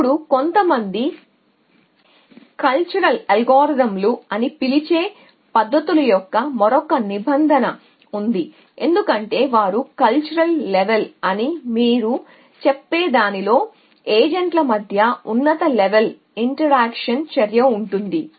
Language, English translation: Telugu, Now, there is the another clause of methods which some people call as cultural algorithms, because they involve high level interaction between the agency at what you my say is a cultural level